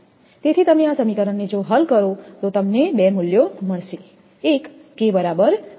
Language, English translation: Gujarati, Therefore, you solve this equation, you will get two values, one will be K is equal to 0